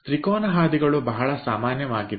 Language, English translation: Kannada, triangular passages are very common